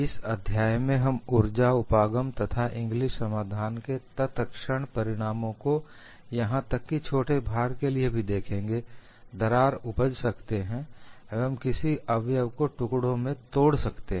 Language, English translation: Hindi, In this chapter, we would look at the energy approach and immediate consequence of Inglis solution is even for a small load the crack may grow and break the component into pieces